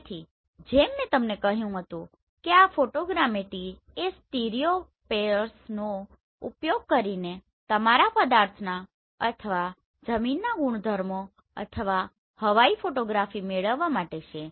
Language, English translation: Gujarati, So as I told you that this photogrammetry is to derive the properties of your objects or the ground using this stereopairs right or the aerial photography